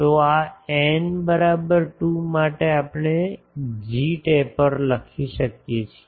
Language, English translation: Gujarati, So, this for n is equal to 2 we can write g taper will be